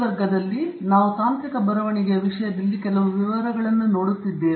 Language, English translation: Kannada, In this class, we are going to look at with some detail at this topic on Technical Writing